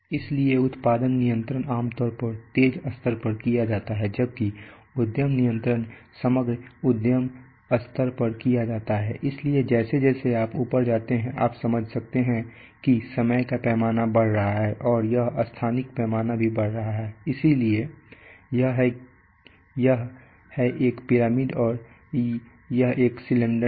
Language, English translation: Hindi, So the production control is done typically at the sharp level while the enterprise control is done at the overall enterprise level so as you go up, you can understand that the time scale is increasing and this the spatial scale is also increasing that is why it is a pyramid and not a cylinder